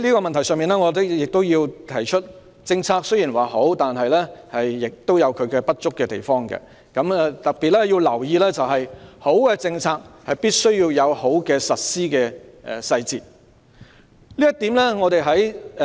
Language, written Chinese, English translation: Cantonese, 代理主席，我亦要指出，政策雖然好，但亦有不足的地方，要特別留意的是，好的政策必須有好的實施細節。, Deputy President I also need to point out that good policies may still have their inadequacies . For instance a good policy should be accompanied by good implementation details